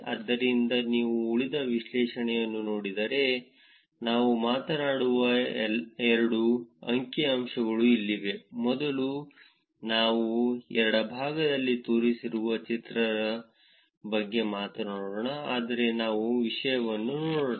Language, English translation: Kannada, So, if you look at the rest of the analysis, so here is the two figures that we will also talk about; first let us talk about the figure 1, which is shown on the left, but let us look at the content